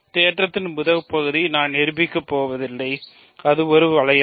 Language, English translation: Tamil, The first part of the theorem I will not prove, that it is a ring